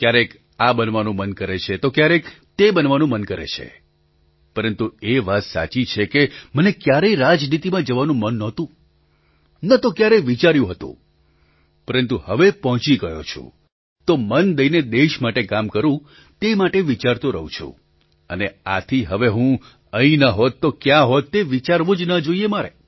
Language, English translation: Gujarati, Sometimes one wants to become this, sometimes one wants to become that, but it is true that I never had the desire to go into politics, nor ever thought about it, but now that I have reached here,I keep thinking howI can work for the welfare of the country with all my heart, and the mere thought that 'Where would I have been if I hadn't been here' should never enter my thought